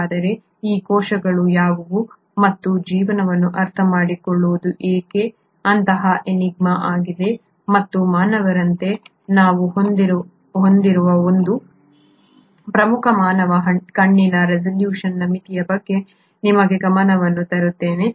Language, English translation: Kannada, So what are these cells and why it has been such an enigma to understand life, and let me bring your attention to one major limitation that we have as humans is a resolution of a human eye